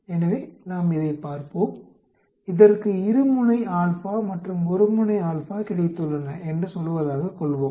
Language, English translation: Tamil, So, let us look at, say it has got two sided alpha and one sided alpha